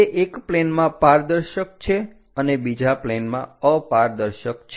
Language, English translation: Gujarati, These are transparent in one of the planes and opaque on other planes